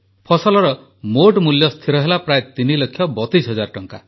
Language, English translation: Odia, The total cost of the produce was fixed at approximately Rupees Three Lakh thirty two thousand